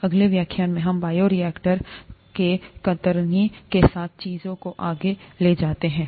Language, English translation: Hindi, In the next lecture, let us take things forward with shear of the bioreactor